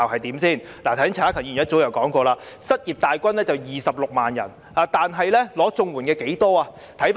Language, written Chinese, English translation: Cantonese, 剛才陳克勤議員已提到，失業大軍有26萬人，但領取綜援的有多少人？, Just now Mr CHAN Hak - kan has mentioned that more than 260 000 people are unemployed but how many of them are receiving CSSA?